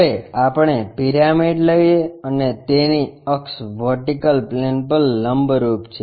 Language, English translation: Gujarati, Now, let us take a pyramid and its axis is perpendicular to vertical plane